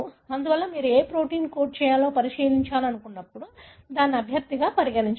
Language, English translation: Telugu, Therefore, when you want to look into, you know, what kind of protein they code for and then consider that as a candidate